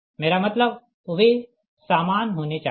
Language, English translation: Hindi, i mean they have to be same, right